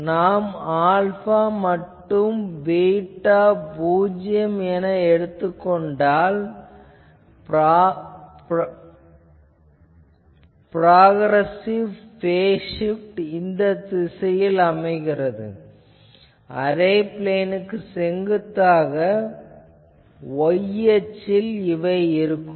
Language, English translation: Tamil, And if we take alpha is equal to 0 is equal to beta that means, the progressive phase shift, then this direction will be perpendicular to the plane of the array that is along plus minus y direction